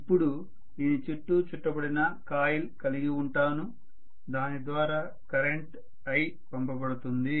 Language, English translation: Telugu, Now I am going to have a coil wound around here which is going to be passed with the current i, fine